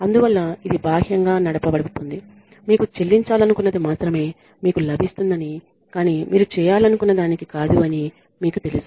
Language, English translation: Telugu, And so, it is all externally driven you do not feel like doing it you just know that you will get only what you get paid for not what you want to do ok